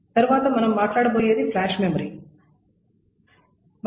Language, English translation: Telugu, The next that we will talk about is a flash memory